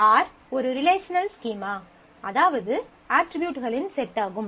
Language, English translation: Tamil, A relational schema is a set of attributes